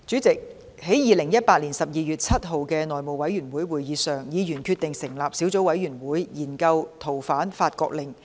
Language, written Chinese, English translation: Cantonese, 在2018年12月7日的內務委員會會議上，議員決定成立小組委員會，研究《逃犯令》。, At the House Committee meeting on 7 December 2018 members decided to form a subcommittee to consider the Fugitive Offenders France Order